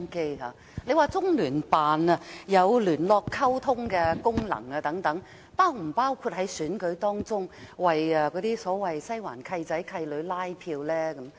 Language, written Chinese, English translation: Cantonese, 局長表示中聯辦有聯絡溝通的功能等，這是否包括在選舉當中，為所謂"西環契仔、契女"拉票呢？, The Secretary says that CPGLO performs the function of liaison and communication and so on . But does this function include canvassing for the godchildren of Western District during elections?